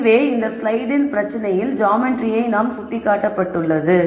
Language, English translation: Tamil, 6 which is what we had indicated in the slide with the geometry of this problem